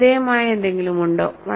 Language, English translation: Malayalam, Is there anything striking